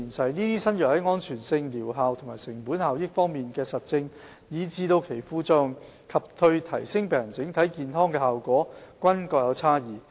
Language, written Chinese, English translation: Cantonese, 這些新藥在安全性、療效和成本效益方面的實證，以至其副作用及對提升病人整體健康的效果均各有差異。, These drugs are proven to vary in safety efficacy and cost - effectiveness as well as their side effects and health outcome